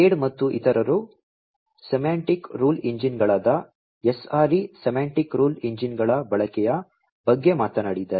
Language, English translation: Kannada, talked about the use of semantic rule engines SREs, Semantic Rule Engines